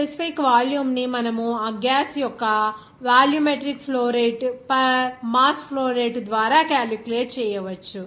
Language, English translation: Telugu, Then the specific volume you can calculate volumetric flow rate per mass flow rate of that gas